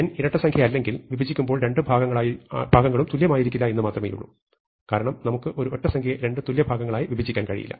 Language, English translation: Malayalam, If it is not even, then when we split it into two parts, they will not be equal, because we cannot split an odd number into two equal parts